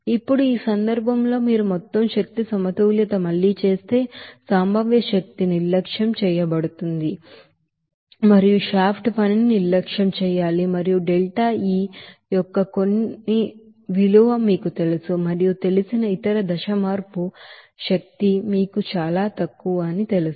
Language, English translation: Telugu, Now, if you do the overall energy balance here in this case again that potential energy just to be neglected and shaft work to be neglected and also you know that delta E s some you know that other you know phase change energy will be you know negligible